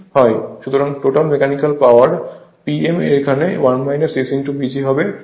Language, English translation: Bengali, Now, next is mechanical power developed P m is equal to 1 minus S into P G